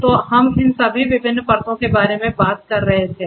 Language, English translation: Hindi, So, you know we were talking about all these different layers